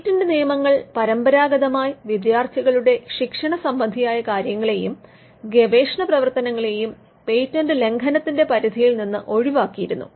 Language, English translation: Malayalam, Patent laws traditionally excluded any activity which was for instruction of their students or any research activity from the ambit of a patent infringement